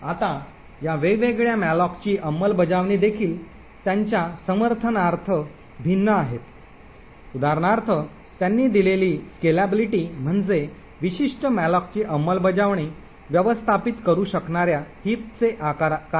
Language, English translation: Marathi, Now these different malloc implementations also vary in the support that they provide for example the scalability which means what is the size of the heap that the particular malloc implementation can manage